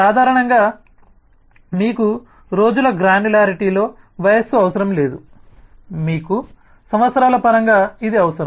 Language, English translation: Telugu, typically you do not need the age in the granularity of the days, you need it in terms of years, so one